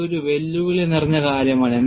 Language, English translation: Malayalam, This is a challenging aspect